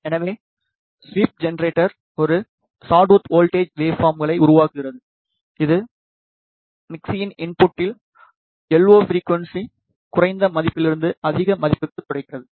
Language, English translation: Tamil, So, the sweep generator generates a sawtooth voltage waveforms, which sweep the yellow frequency at the input of the mixtures from a lower value to a higher value